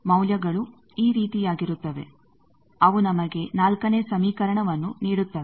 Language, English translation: Kannada, The values will be something like this that gives us 4th equation